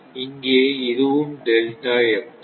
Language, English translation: Tamil, So, here it is also delta F